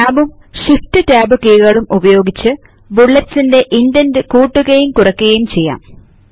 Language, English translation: Malayalam, You can use Tab and shift tab keys to increase and decrease the indent for the bullets respectively